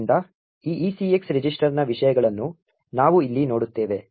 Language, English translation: Kannada, So, what we see over here is the contents of these ECX register